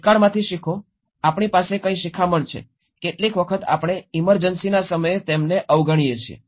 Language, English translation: Gujarati, Learn from past, what are the learnings that we, sometimes we ignore them at that time of emergency